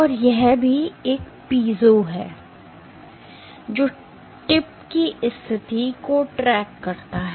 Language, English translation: Hindi, And also, there is a piezo which tracks the position of the tip